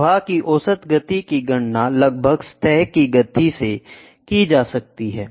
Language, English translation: Hindi, The average speed of flow can be calculated approximately from the surface speed